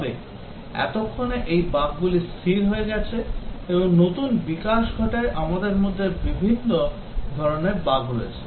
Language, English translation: Bengali, But then as those bugs are fixed and new development takes place we have different types of bugs that have come in